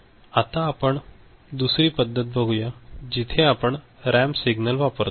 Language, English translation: Marathi, Now, we look at another method where we are using ramp signal ok